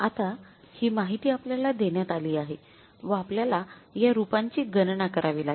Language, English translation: Marathi, Now this information is given to us and now we have to calculate these variances